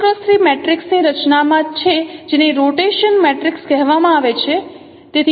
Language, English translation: Gujarati, So R is in the structure of it's a three, three cross three matrix which is called rotation matrix